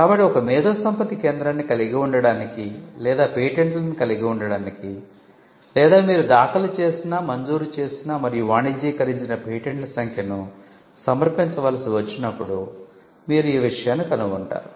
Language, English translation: Telugu, So, you will find that when there is a push to have an IP centre or to have patents or to have to submit the number of patents you have filed, granted and commercialized